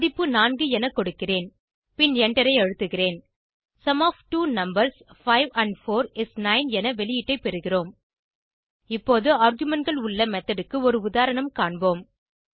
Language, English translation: Tamil, type 4 and press enter We get the output as Sum of two numbers 5 and 4 is 9 Now let us see an example of method with arguments